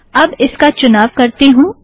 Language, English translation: Hindi, So let me select it